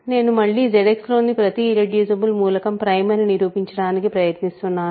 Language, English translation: Telugu, Remember again I am trying to prove that every irreducible element in Z X is prime